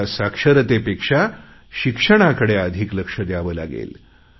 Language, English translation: Marathi, We will have to shift our priority from literacy campaign to good education